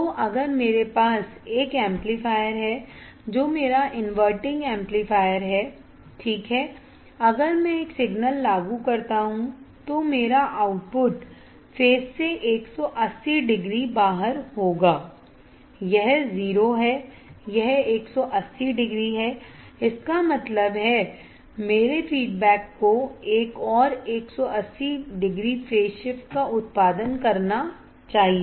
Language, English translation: Hindi, So, if I have a amplifier that is my inverting amplifier inverting amplifier, right if I apply a signal, then my output would be 180 degree out of phase, this is 0, this is 180 degree; that means, my feedback should produce another 180 degree phase shift